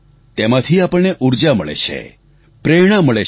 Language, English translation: Gujarati, That lends us energy and inspiration